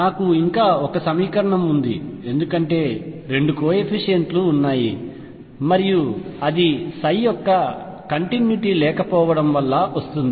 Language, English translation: Telugu, I still have one more equation to derive because there are two coefficients and that comes from the discontinuity of psi prime